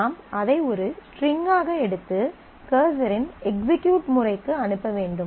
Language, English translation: Tamil, So, you take that as a string and pass it on to the execute method of cursor